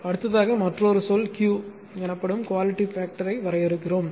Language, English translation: Tamil, Next another term we define the quality factor it is called Q right